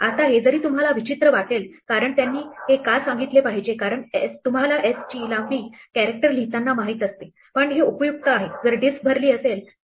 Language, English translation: Marathi, Now, this may seem like a strange thing to do, why should it tell you because you know from the length of s what is number of character is written, but this is useful if, for instance, the disk is full